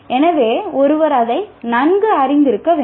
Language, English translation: Tamil, So one should be familiar with that